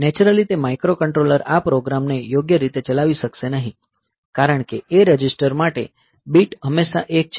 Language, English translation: Gujarati, So, naturally that microcontroller will not be able to run this program correctly, because for the A register the bit is always, that particular bit is always 1